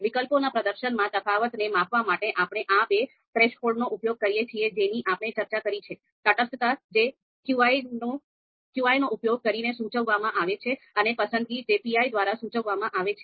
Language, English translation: Gujarati, Now to measure the difference in the performance of alternatives, so we use these two thresholds that we have talked about indifference that is we are denoting using qi and preference we are denoting it by pi small pi threshold